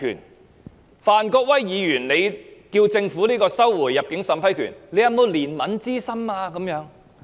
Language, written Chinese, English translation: Cantonese, 當范國威議員要求政府收回入境審批權時，當局卻問他有否憐憫之心？, When Mr Gary FAN asked the Government to take back the right of vetting and approving OWP applications the Government asked him whether he had any sympathy